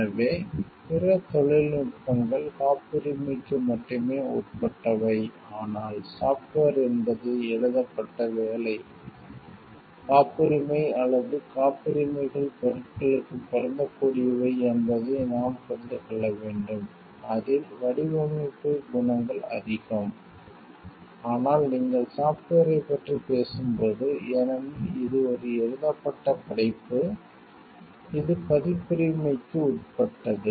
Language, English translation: Tamil, So, other technologies are subject to patent only so, but software because it is a written work, we have to understand patent or patents are applicable for things, which are more of a design qualities there, but when you are talking of software, because it is a written work it is more subject to copyright